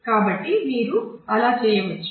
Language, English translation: Telugu, So, you could go through that